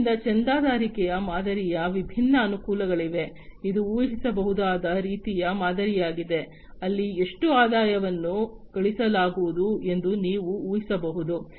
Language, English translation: Kannada, So, there are different advantages of the subscription model, it is a predictable kind of model, where you can predict how much revenue is going to be generated